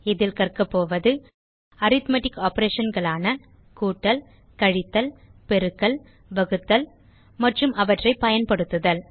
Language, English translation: Tamil, In this tutorial, you will learn about the various Arithmetic Operations namely Addition Subtraction Multiplication Division and How to use them